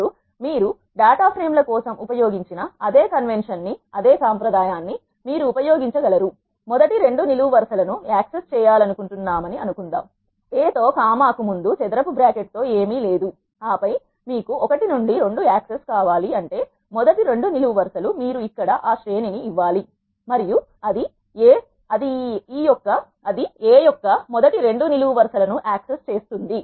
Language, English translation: Telugu, Now, let us suppose you want to access the first two columns you can use the same convention as what we have used for data frames, A with the square bracket nothing before the comma and then you want access 1 to 2 that is first two columns of a you have to give that array here and then it will access the first two columns of A